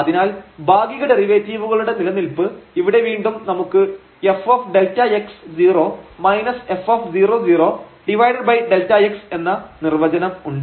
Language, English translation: Malayalam, So, here the existence of partial derivative again we have the definition f delta x 0 minus f 0 0 over delta x